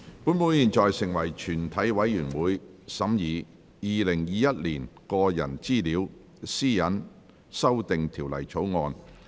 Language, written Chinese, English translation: Cantonese, 本會現在成為全體委員會，審議《2021年個人資料條例草案》。, This Council now becomes committee of the whole Council to consider the Personal Data Privacy Amendment Bill 2021